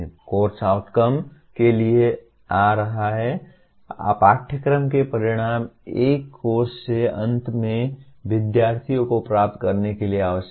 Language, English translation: Hindi, Coming to Course Outcomes, Course Outcomes are what students are required to attain at the end of a course